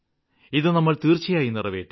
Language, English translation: Malayalam, We will certainly achieve this